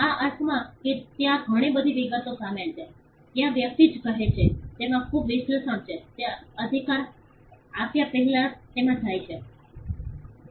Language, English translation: Gujarati, In the sense that there is quite a lot of details involved, there is quite a lot of analysis of what the person says which goes into it before the right is granted